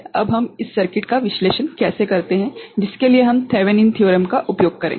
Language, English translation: Hindi, Now, how we analyze this circuit for which we use what is called Thevenin’s Theorem right